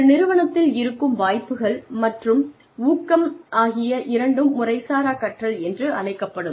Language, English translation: Tamil, The opportunities and encouragement, within an organization, constitute informal learning